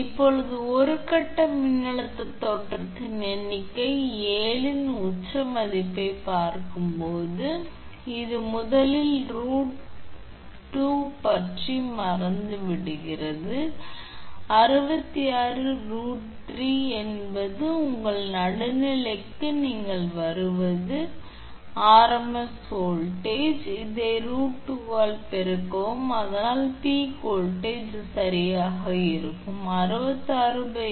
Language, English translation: Tamil, Now, referring to figure 7 peak value of per phase voltage look this is first forget about root 2 first 66 by root 3 is the your whatever you will come line to your neutral that is phase rms voltage, then multiply by this root 2 it will be peak voltage right that is why V is equal to 66 upon root 3 into root 2 that is 53